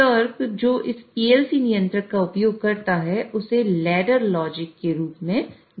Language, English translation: Hindi, So, the logic which this PLC controller uses is known as uses ladder logic and it is essentially a ladder